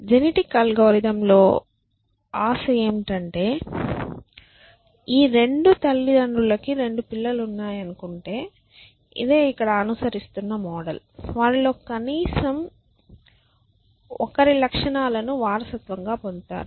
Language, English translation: Telugu, The hope in genetic algorithm is that if these 2 parents have let say 2 children that is module that we are following here at least one of them will inherit